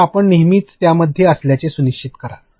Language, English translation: Marathi, So, you make sure that you are always within that